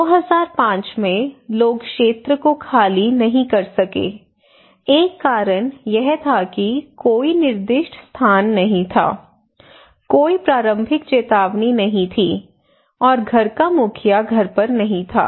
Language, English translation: Hindi, So people could not evacuate during 2005 one reason that there was no designated place there was no early warning and the head of the household was not at house